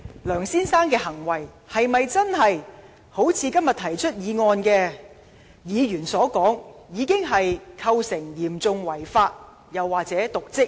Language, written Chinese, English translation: Cantonese, 梁先生的行為是否真的如今天提出議案的議員所說，已經構成"嚴重違法"、"瀆職"？, Is it true that the acts of Mr LEUNG have already constituted serious breach of law or dereliction of duty as claimed by Members who initiate the motion?